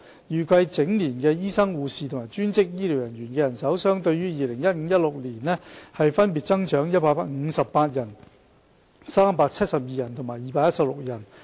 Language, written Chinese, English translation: Cantonese, 預計整年醫生、護士及專職醫療人員的人手相對於 2015-2016 年度分別增長158人、372人及216人。, It is projected that there will be an increase of 158 doctors 372 nurses and 216 allied health professionals as compared with 2015 - 2016